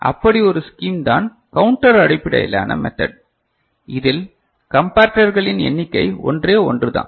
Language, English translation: Tamil, So, one such scheme is counter based method where the number of comparator required is only one ok